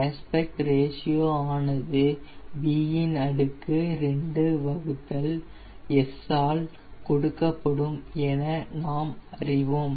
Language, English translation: Tamil, we know that aspect ratio is given by b, square by s